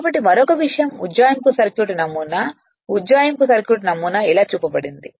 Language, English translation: Telugu, So, another thing is the approximate circuit model approximate circuit model is shown like this